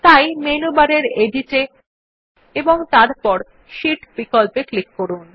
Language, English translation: Bengali, So we click on the Edit option in the menu bar and then click on the Sheet option